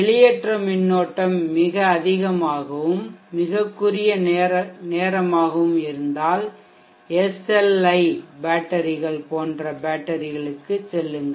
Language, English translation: Tamil, If the discharge currents are very high and short time then go for batteries like SLI batteries